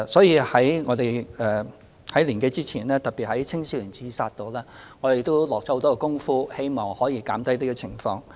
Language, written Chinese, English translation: Cantonese, 就此，在年多之前，我們特別就防止青少年自殺下了不少工夫，希望可減少有關情況。, In this connection we have specifically done a lot of work in the prevention of youth suicides over a year ago with a view to reducing the number of such cases